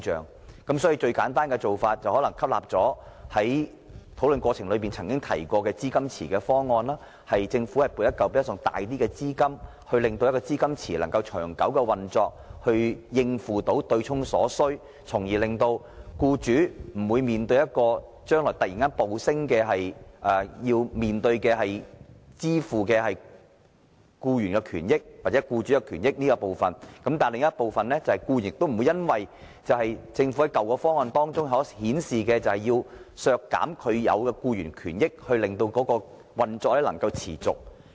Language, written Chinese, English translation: Cantonese, 我認為最簡單的做法，可能是採取討論時提及的資金池方案，由政府撥出一筆較大資金，使資金池能夠長久運作，應付對沖所需，而僱主日後亦無須突然要支付暴升的僱員權益或僱主權益；但另一方面，僱員也不會因政府在舊方案中表示要削減僱員權益，以維持強積金運作，因而蒙受損失。, In my view the simplest approach may be adopting the proposal for setting up a pool as mentioned during our discussion . The Government will allocate a larger amount of funds so that the pool can operate in the long term and cope with the needs arising from offsetting . Also the employers will not suddenly have to pay for the surging benefits of employees or employers in the future